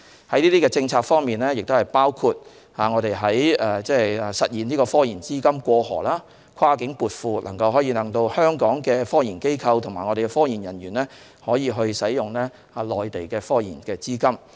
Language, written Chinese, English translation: Cantonese, 這些政策包括實現科研資金"過河"，跨境撥款，使香港的科研機構和科研人員可以使用內地的資金。, These policies include the realization of cross - boundary remittance of project funding for science and technological projects so that the scientific research institutions and personnel in Hong Kong can make use of funding from the Mainland